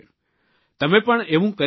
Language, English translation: Gujarati, You too can do that